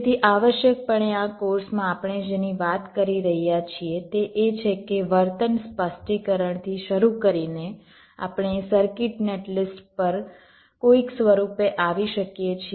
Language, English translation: Gujarati, so essentially, what we are talking about in this course is that, starting from the behavior specification, we can arrive at the circuit net list in some form and form the net list